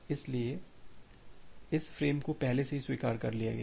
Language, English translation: Hindi, So, this frames has been already acknowledged